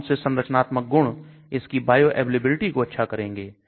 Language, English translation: Hindi, Which structure features improve bioavailability